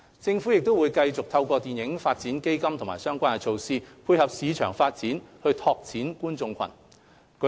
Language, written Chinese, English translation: Cantonese, 政府會繼續透過電影發展基金和相關措施，配合市場發展，拓展觀眾群。, The Government will continue through FDF and relevant measures to keep pace with the development of the film market and broaden the audience base